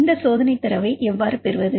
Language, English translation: Tamil, So, how to get this experimental data